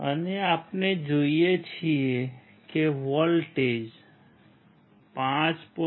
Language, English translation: Gujarati, And what we see is the voltage is 5